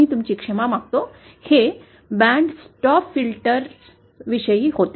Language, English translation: Marathi, I beg your pardon, this was about band stop filter